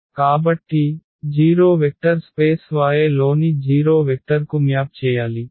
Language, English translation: Telugu, So, 0 should map to the 0 vector in the vector space Y